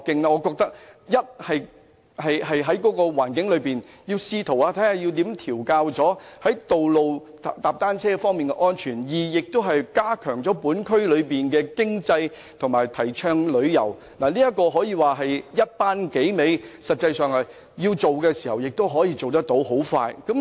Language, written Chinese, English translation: Cantonese, 我認為這樣一方面既能調控在道路環境踏單車的安全，而另一方面亦能加強區內經濟及提倡旅遊，可說是一舉數得，而實際上如要推行，亦能很快成事。, I think that this may on the one hand ensure safe cycling in the road environment while on the other boost the economy of the districts and promote tourism killing several birds with one stone so to speak . And in fact it will not take much time to get it rolled out